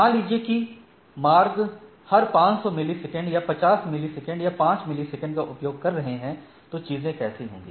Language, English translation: Hindi, Suppose it is alternating every 500 millisecond or 50 millisecond or 5 millisecond routes and then how things will be there